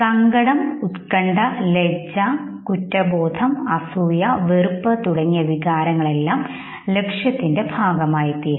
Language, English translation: Malayalam, Emotions like sadness, anxiety, shame, guilt, envy, disgust they all become the part of the gold in congruent emotions